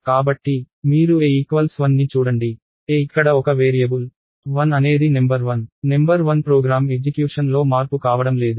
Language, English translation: Telugu, So, you look at a equals 1, a is a variable here, 1 is number 1, number 1 is not going to be change during the execution of the program